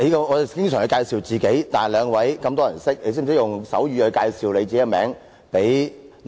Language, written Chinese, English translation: Cantonese, 我們經常介紹自己，但兩位有這麼多人認識，你們懂得用手語向聾啞人士介紹自己嗎？, We frequently need to introduce ourselves . Many people know the two of you but do you know how to introduce yourselves to the deaf - mute using sign language?